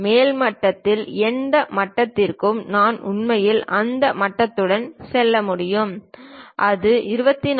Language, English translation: Tamil, On upper side up to which level I can really go on the lower side up to which level I can really go with that dimension, is it 24